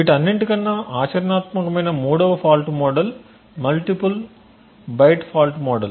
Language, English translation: Telugu, Third fault model which is the most practical of all is the multiple byte fault model